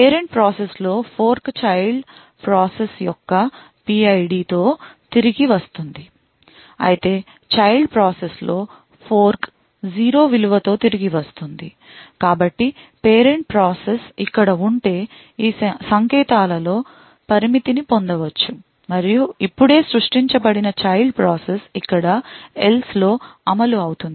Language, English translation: Telugu, In the parent process the fork will return with the PID of the child process, while in the child process the fork would return with 0 value of 0, so thus in these codes limit the parent process would execute over here in the if part, while the child process which has just been created would execute over here in the “else” apart